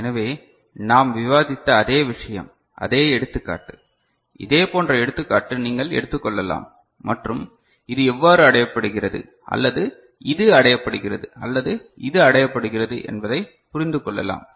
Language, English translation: Tamil, So, same thing what we were discussing, the same example, similar example you can take up and understand how this is achieved or this is achieved right or this is achieved right